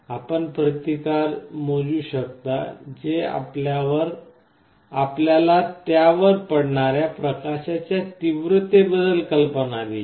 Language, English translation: Marathi, You can measure the resistance that will give you an idea about the intensity of light that is falling on it